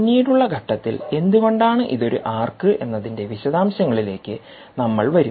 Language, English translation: Malayalam, right, we will come to the details of why it is an arc at a later stage